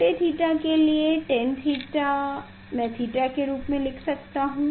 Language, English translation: Hindi, tan theta for small theta I can write as a theta